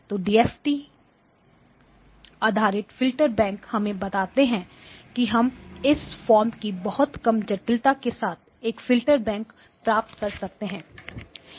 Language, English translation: Hindi, So the DFT based Filter Bank tells us that we can achieve a bank of filters with very low complexity of this form